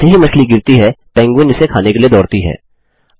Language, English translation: Hindi, Then, as the fish falls, the penguin runs to eat them